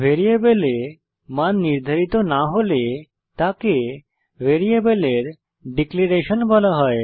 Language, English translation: Bengali, If a value is not assigned to a variable then it is called as declaration of the variable